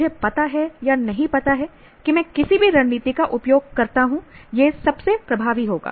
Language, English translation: Hindi, I know, do not know when each strategy I use will be most effective